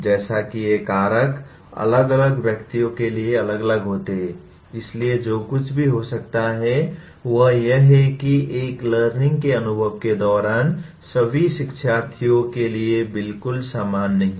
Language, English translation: Hindi, As these factors are different for different individuals so what may happen is learning is not exactly the same for all the learners in a particular during an organized learning experience